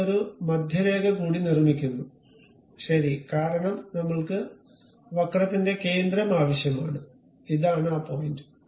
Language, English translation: Malayalam, We construct one more center line, ok because we require center of the curve, so this is the point